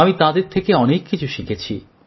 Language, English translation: Bengali, I have learnt a lot from them